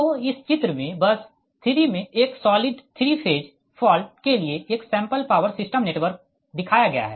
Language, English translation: Hindi, that is shows a sample power system network for a solid three phase fault at bus three